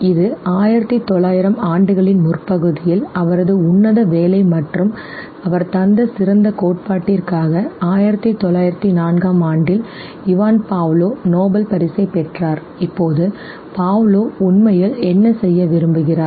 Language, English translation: Tamil, This was in early1900,s and for his noble work and the great theory that he came forward with Ivan Pavlov received Nobel Prize in 1904, now what actually want Pavlov had done